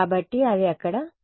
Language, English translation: Telugu, So, it's going to be there